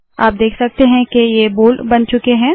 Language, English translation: Hindi, You can see that it has become bold